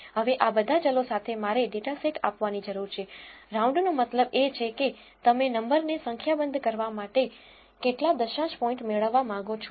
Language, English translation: Gujarati, I need to give the dataset with all the variables now round tells you to how many decimal points you want round off the number to